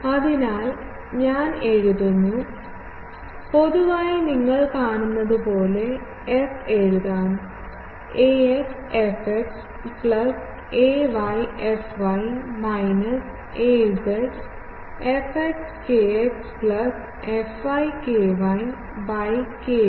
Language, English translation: Malayalam, So, I will write better that in general that f can be written as you see ax fx plus ay fy minus az fx kx plus fy ky by kz